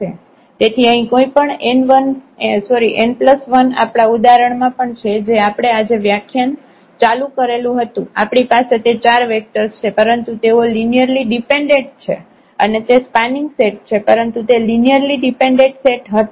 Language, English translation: Gujarati, So, here any n plus 1 in the in our example also which we started this lecture today we had those 4 vectors, but they were linearly dependent and that was a spanning set ah, but it was a linearly dependent set